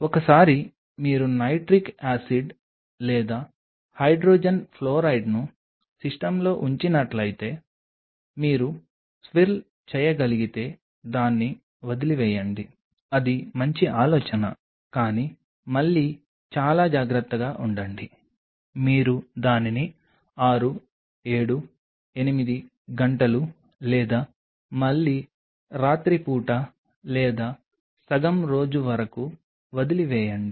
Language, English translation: Telugu, Once you put the nitric acid or hydrogen fluoride into the system you leave it if you can swirl it is a good idea, but be again be very careful you leave it there for 6 7 8 hours or maybe again overnight or half a day